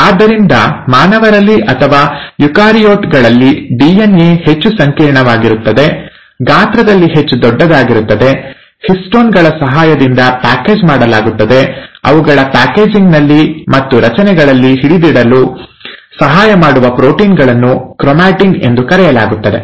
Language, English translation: Kannada, So in humans or in eukaryotes, the DNA being more complex, much more bigger in size is packaged through the help of histones, the proteins which help in their packaging and help them in holding in structures called as chromatin